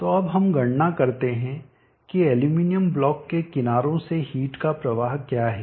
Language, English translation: Hindi, So now let us calculate what is the heat flow out of the sides of the aluminum block